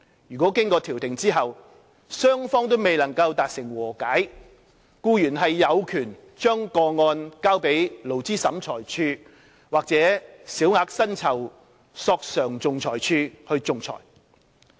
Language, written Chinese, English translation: Cantonese, 如經調停後雙方未能達成和解，僱員有權將個案交予勞資審裁處或小額薪酬索償仲裁處仲裁。, If no settlement could be reached after conciliation employees are entitled to requesting that their cases be referred to the Labour Tribunal or the Minor Employment Claims Adjudication Board for adjudication